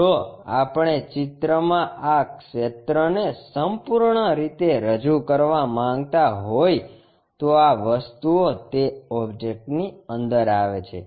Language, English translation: Gujarati, If, we want to really represent this area one completely in the picture, then these things really comes in the inside of that object